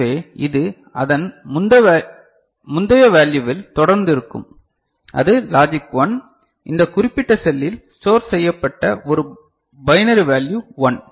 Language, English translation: Tamil, So, it will continue to remain in its previous value which was a logic 1 a binary value 1 that was stored in this particular cell ok, is it clear right